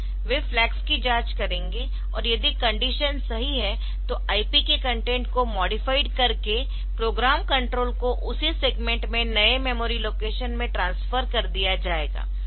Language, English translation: Hindi, Now, this they will check flags and if the condition is true then the program control will be transferred to the new memory location in the same segment by modifying the content of the IP